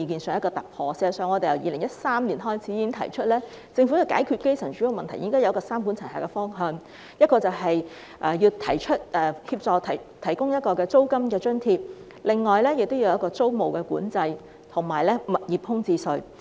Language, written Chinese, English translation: Cantonese, 事實上，我們自2013年已提出，政府如要解決基層住屋問題，便應該採取三管齊下的方向，即提供租金津貼、實行租務管制及推出物業空置稅。, In fact since 2013 we have proposed that to address the housing problem of the grass roots the Government should adopt a three - pronged approach ie . providing a rent allowance implementing tenancy control and introducing a vacant property tax